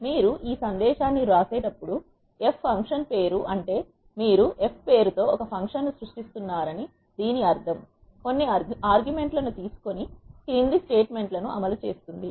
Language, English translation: Telugu, This f is the function name when you write this command this means that you are creating a function with name f which takes certain arguments and executes the following statements